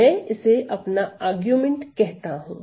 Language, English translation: Hindi, So, I call this as my, my argument